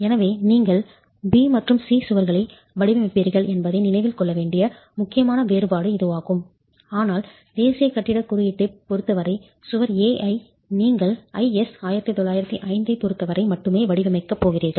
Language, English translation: Tamil, So, this is an important difference that you need to keep in mind that you will be designing walls B and C, but as far as wall with respect to National Building Code, whereas wall A, you're only going to be designing with respect to I S 1905